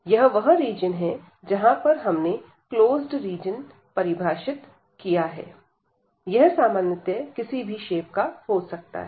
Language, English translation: Hindi, So, this is the region here we have define a closed region D, it can be of any shape in general